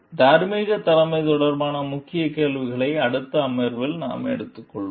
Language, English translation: Tamil, We will take up key questions related to moral leadership in the next session